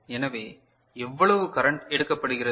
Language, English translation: Tamil, So, how much current is taken